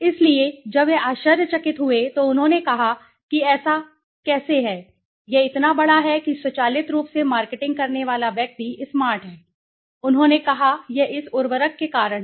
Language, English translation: Hindi, So, when they were surprised they said how is that so, it so big so automatically the marketing guy being smart he said, this is because of this fertilizer